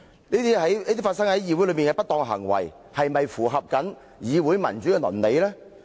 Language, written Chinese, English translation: Cantonese, 這些發生在議會內的不當行為，是否符合議會民主的倫理？, Is such misconduct in this Council in line with the ethics of parliamentary democracy?